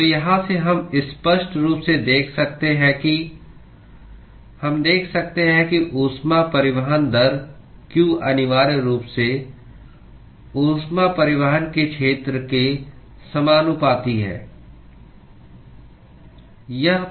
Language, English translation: Hindi, So, from here we can clearly see that we can see that the heat transport rate q is essentially, proportional to the area of heat transport